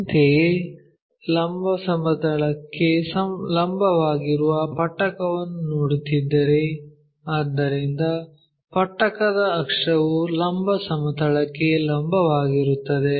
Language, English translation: Kannada, Similarly, if we are looking at a prism perpendicular to vertical plane, so, axis of the prism is perpendicular to vertical plane